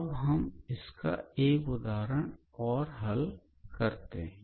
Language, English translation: Hindi, And let us consider another example